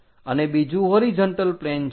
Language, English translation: Gujarati, This is what we call a horizontal plane